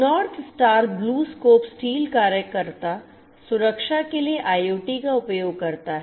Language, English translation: Hindi, North Star BlueScope Steel uses IoT for worker safety